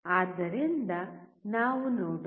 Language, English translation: Kannada, So, let us see